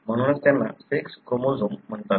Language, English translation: Marathi, That is why they are called as sex chromosomes